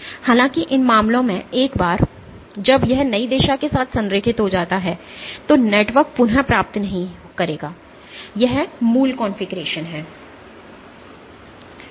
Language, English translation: Hindi, However so, in these cases once it aligns with the new direction the network will not regain it is original configuration